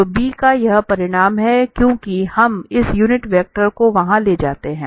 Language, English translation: Hindi, So, this magnitude of b is 1 because we take this unit vector there